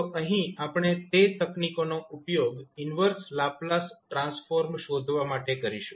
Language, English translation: Gujarati, So, here we will apply those technique to find out the inverse Laplace transform